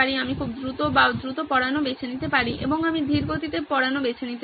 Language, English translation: Bengali, I can chose to go very fast or fast and I can chose to go slow